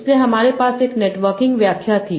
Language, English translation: Hindi, So we had a network interpretation